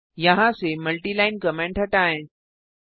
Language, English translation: Hindi, Remove the multiline comments from here and here